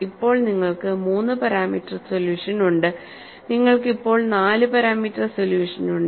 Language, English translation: Malayalam, Now, you have the 3 parameter solution; you have the 4 parameter solution now; and you have the 5 parameter solution and 6 parameter solution